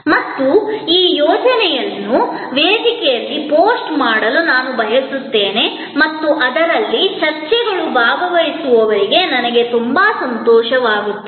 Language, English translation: Kannada, And I would like this assignment to be posted on the forum and discussions on that in which I would be very glad to participant